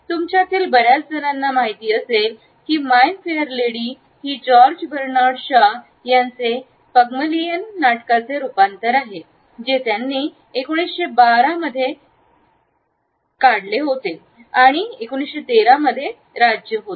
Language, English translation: Marathi, As many of you would know My Fair Lady is an adaptation of a play by George Bernard Shaw his play Pygmalion which he had spent in 1912 and which was a state in 1913